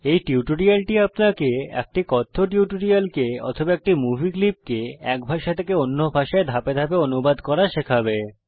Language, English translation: Bengali, This tutorial will explain how to dub a spoken tutorial or a movie clip from one language into another through a step by step process